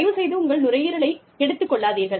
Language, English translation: Tamil, Please, do not burn your lungs